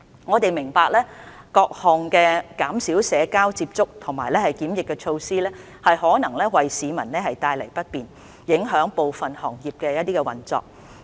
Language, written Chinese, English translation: Cantonese, 我們明白各項減少社交接觸和檢疫的措施可能為市民帶來不便，影響部分行業的運作。, We understand that various social distancing and quarantine measures may bring inconvenience to members of the public and affect the operation of some industries